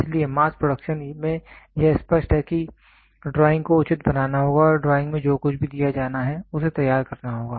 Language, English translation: Hindi, So, in mass production it is very clear the drawing has to be made proper and the drawing whatever is given in the drawing that has to be produced